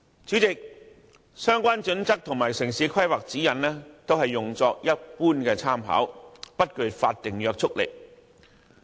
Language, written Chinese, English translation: Cantonese, 《規劃標準》和《指引》只用作一般參考，不具法定約束力。, As HKPSG and the relevant town planning guidelines are only intended as general reference they are not legally binding